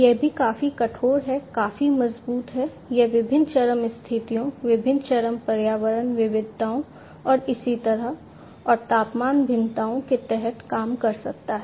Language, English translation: Hindi, It is also quite rigid, quite robust, it can work under different extreme conditions, different extreme environmental variations, and so on, and temperature variations